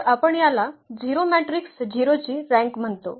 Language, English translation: Marathi, So, this is what we call the rank of 0 matrix is 0